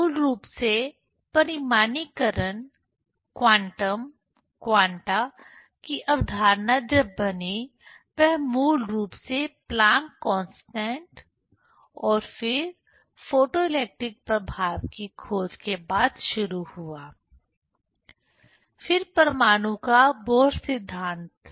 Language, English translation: Hindi, So, basically quantization, quantum, quanta that concept when started to nucleate; that started basically after discovery of the Planck s constant and then photoelectric effect, then the Bohr theory of atom